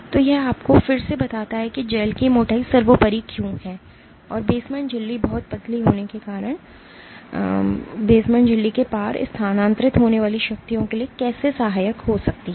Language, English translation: Hindi, So, this again conveys to you why the thickness of the gel is paramount and how the basement membrane being very thin can be helpful for forces being transmitted across the basement membrane